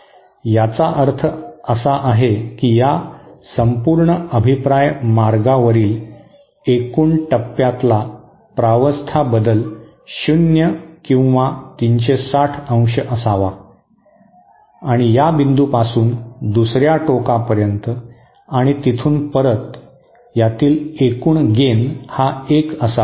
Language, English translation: Marathi, It means that the total phase change over this entire feedback path should be zero or 360 degree and the total gain starting from this point all the way to through the other end then back should be 1